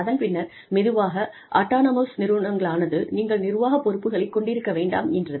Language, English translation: Tamil, And, then slowly, autonomous institutes said, no, you need to have administrative responsibilities, also